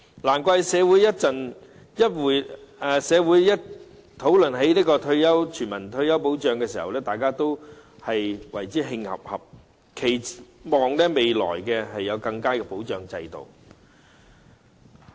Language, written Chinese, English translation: Cantonese, 難怪社會每次討論全民退休保障時，大家都會感到憤慨，期望未來能有更佳的保障制度。, No wonder every time when universal retirement protection is discussed in society we feel indignant and expect to have a better system of protection in the future . The retirement issue has been under continuous discussion in society